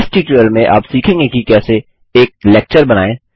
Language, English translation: Hindi, In this tutorial, you will learn how to: Create a lecture